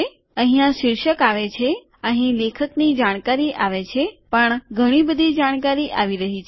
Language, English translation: Gujarati, Here the title comes here, here the author information comes but lots of information is coming